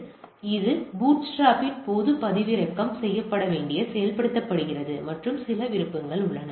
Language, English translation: Tamil, So that it is downloaded and executed during the bootstrap and there are some options